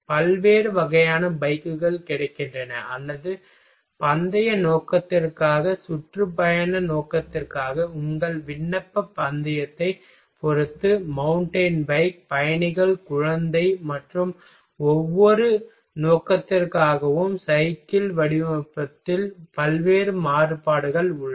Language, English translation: Tamil, Variety of types of bikes are available or depending on your application racing for racing purpose touring purpose mountain bike, commuter child and for each purpose the design is there is a variety variation in designing of bicycle